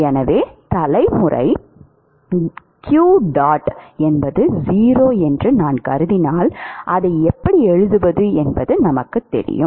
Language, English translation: Tamil, So, if I assume that generation qdot is 0, we know how to write it